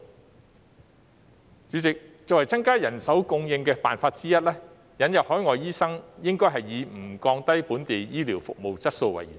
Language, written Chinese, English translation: Cantonese, 代理主席，作為增加人手供應的方法之一，引入海外醫生應以不降低本地醫療服務質素為原則。, Deputy President as one of the ways to increase manpower supply admission of overseas doctors should be based on the principle of not lowering the quality of local healthcare services